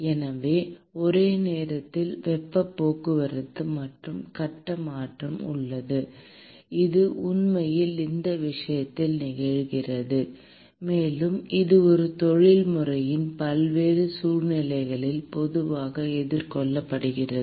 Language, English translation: Tamil, So, there is simultaneous heat transport and phase change which is actually occurring in this case and this also is commonly encountered in the various situations in an industry